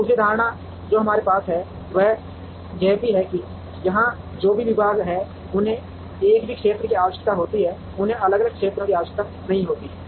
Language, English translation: Hindi, The second assumption that we have is also that, all the departments which are here require the same area they do not require different areas